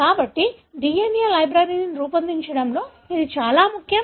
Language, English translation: Telugu, So, that’s very, very important in generating DNA libraries